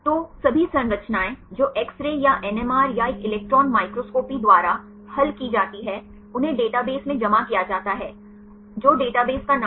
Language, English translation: Hindi, So, all the structures which is solved by X Ray or NMR or a electron microscopy are deposited in the database right what is the name of the database